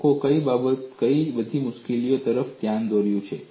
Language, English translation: Gujarati, What are all the difficulties people have pointed out